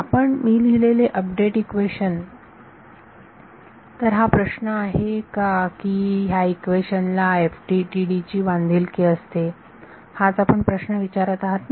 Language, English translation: Marathi, But now let us see that the update equation that I have written, so does question is this, does FDTD respect this that is the question we are asking